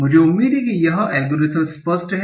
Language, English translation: Hindi, So I hope this algorithm is clear